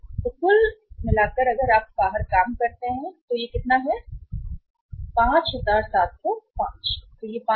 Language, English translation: Hindi, So total if you work out this works out total works out as how much that is 5705